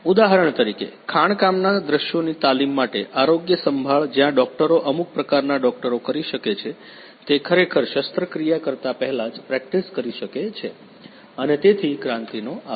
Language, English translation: Gujarati, For example, for training in the mining scenarios, healthcare where the doctors can perform some kind of doctors can practice even before actually performing the surgery and so on thank you Kranti